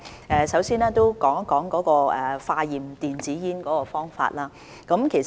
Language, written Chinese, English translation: Cantonese, 我首先談談化驗電子煙的方法。, I will first discuss the way of testing e - cigarettes